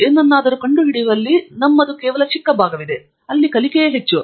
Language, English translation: Kannada, There is only a small part of discovering something; it is more of learning